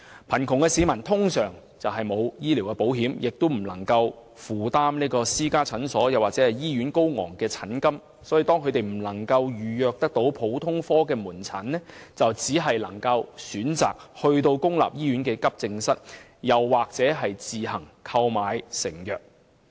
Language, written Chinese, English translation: Cantonese, 貧窮的市民通常沒有購買醫療保險，因此難以負擔私家診所或醫院的高昂診金，當他們未能預約政府普通科門診服務時，便只能選擇前往公立醫院急症室求診或自行購買成藥。, Since poor people usually do not take out medical insurance the exorbitant consultation fees charged by private clinics or hospitals are indeed unaffordable to them . And so when they are unable to make appointments for government general outpatient clinic consultation service through telephone booking they can only choose to seek consultation from the accident and emergency departments of public hospitals or purchase patent drugs at their own expense